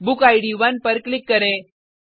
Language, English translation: Hindi, Click on book id 1